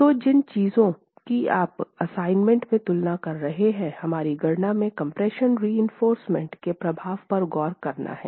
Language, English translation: Hindi, So, things that you will be comparing in the assignment that follows is to look at the effect of compression reinforcement in our calculations